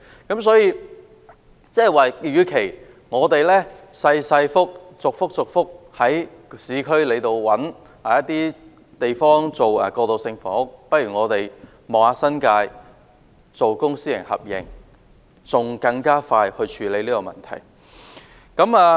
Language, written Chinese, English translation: Cantonese, 換言之，與其在市區逐一尋覓小型土地以興建過渡性房屋，不如嘗試在新界興建公私合營的過渡性房屋，從而更快處理相關問題。, In other words instead of searching for small land parcels for building transitional housing in the urban areas piece by piece we may try to do so under a public - private partnership approach in the New Territories thereby addressing the relevant issues more efficiently